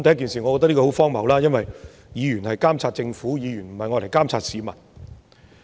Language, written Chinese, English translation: Cantonese, 首先，我覺得這十分荒謬，因為議員是監察政府，不是監察市民。, First I think this is most absurd because we Members have the duty to monitor the Government . It is not our duty to monitor the people